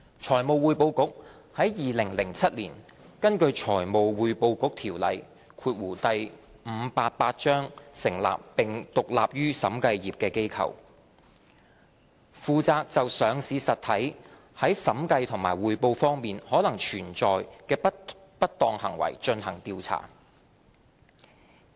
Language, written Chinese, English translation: Cantonese, 財務匯報局是在2007年根據《財務匯報局條例》成立並獨立於審計業的機構，負責就上市實體在審計和匯報方面可能存在的不當行為進行調查。, The Financial Reporting Council is a body established in 2007 under the Financial Reporting Council Ordinance Cap . 588 and independent of the audit profession responsible for conducting investigations into possible auditing and reporting irregularities related to listed entities